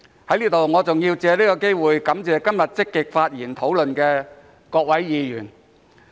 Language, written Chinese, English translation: Cantonese, 在這裏，我還要藉此機會感謝今天積極發言討論的各位議員。, I would like to take this opportunity to thank Members who have spoken actively today